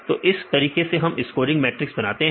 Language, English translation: Hindi, So, this is how we made the scoring matrices